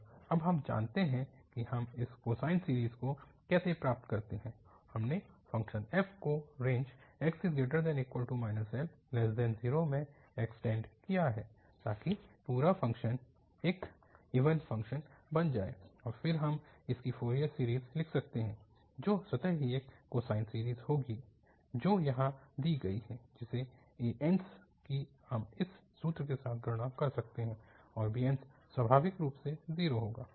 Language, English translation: Hindi, And we know now how do we get this cosine series, we have this extended function f in the range minus L to L, minus L to 0 so that the whole function becomes an even function and then we can write its Fourier series which will be automatically a cosine series, given here whose an's we can compute with this formula and bn's naturally will be 0